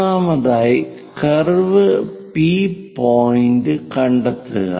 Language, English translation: Malayalam, First of all, locate the point on the curve P